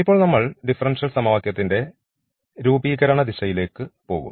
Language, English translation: Malayalam, And now we will we are going to the direction of the formation of these differential equation